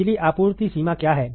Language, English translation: Hindi, What is the power supply range